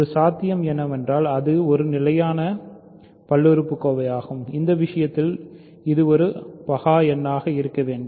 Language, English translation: Tamil, So, one possibility is it is a constant polynomial in which case it must be a prime number